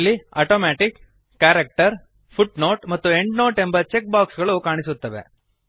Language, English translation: Kannada, There are checkboxes namely ,Automatic, Character, Footnote and Endnote